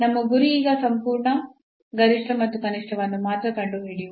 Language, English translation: Kannada, So, our aim is now to find only the absolute maximum and minimum